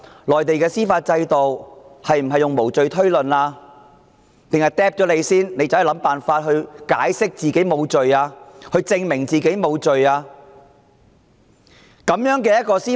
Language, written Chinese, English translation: Cantonese, 內地的司法制度奉行無罪推論原則，還是先拘捕疑犯，然後要疑犯設法解釋自己無罪，證明自己清白？, Is it a system based on the principle of presumption of innocence or one under which a suspect is arrested first and then left to his own devices to explain and prove his innocence?